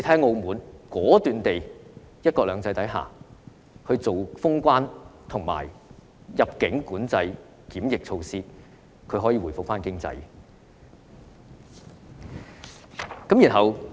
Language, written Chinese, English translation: Cantonese, 澳門在"一國兩制"下，果斷封關，實施入境管制檢疫措施，其經濟便可以回復。, Macao closed its borders decisively and implemented immigration control and quarantine measures under the principle of one country two systems so its economy can resume as well